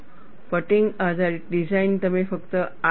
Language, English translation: Gujarati, Fatigue based design, you will do only this